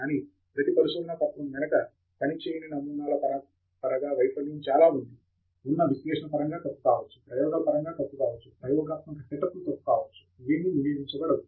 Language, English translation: Telugu, But behind each paper there is a lot of failure in terms of samples that didn’t work, in terms of analysis that was wrong, may be experiments that were wrong, experimental setups that were wrong, all of which is not getting reported